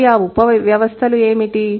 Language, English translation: Telugu, And what are these subsystems